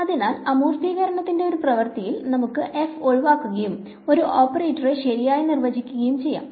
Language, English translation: Malayalam, So, one act of abstraction is let us get rid of f and define an operator right